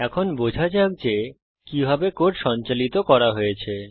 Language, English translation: Bengali, now Let us understand how the code is executed